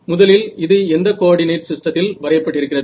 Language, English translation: Tamil, So, what does this mean, first of all what coordinate system is this plotted in